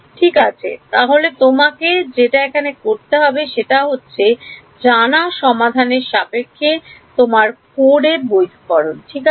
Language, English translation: Bengali, Right so, what you need to do is validate your code against the known solution right